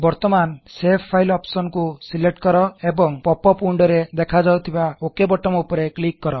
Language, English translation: Odia, Now you can select the Save File option and click on the Ok button appearing in the popup window